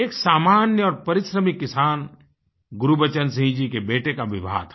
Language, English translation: Hindi, The son of this hard working farmer Gurbachan Singh ji was to be married